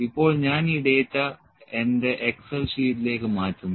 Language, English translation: Malayalam, Now, I will just export this data to my excel sheet